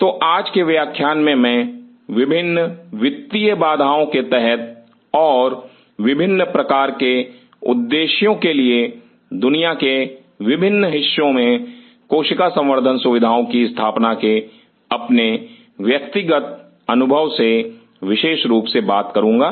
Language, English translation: Hindi, So, todays lecture I will be talking exclusively from my personal experience of setting up cell culture facilities in different parts of the world under different financial constraints and for different kind of purpose